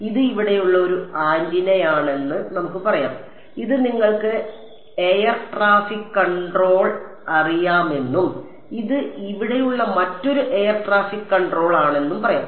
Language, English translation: Malayalam, Let us say that this is one antenna over here, let us say this is you know air traffic control and this is another air traffic control over here